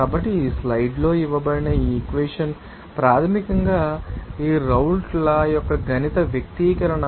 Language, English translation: Telugu, So, this equation given in these slides is basically the mathematical expression for this Raoult’s Law